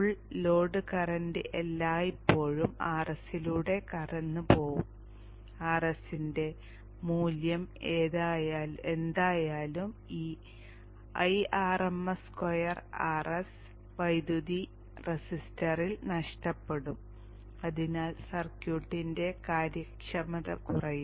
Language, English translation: Malayalam, The full load current is going to pass through RS all the time and whatever be the value of RS, IRMS square into RS amount of power will keep getting lost in this resistor